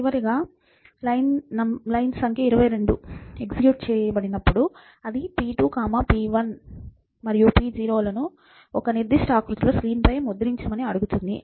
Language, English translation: Telugu, And finally, when line number 22 is executed, it is asking p2, p1 and p0 to be printed on the screen, in a certain format and the way it is going to be printed is as follows